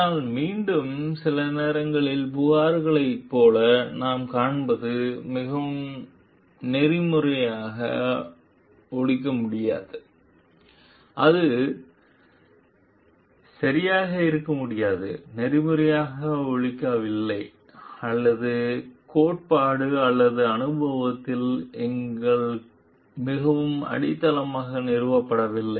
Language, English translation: Tamil, But again, what we find like sometimes complaints could be not very ethically sound; it could be not well; not ethically sound or not well founded in our very grounded in the theory or experience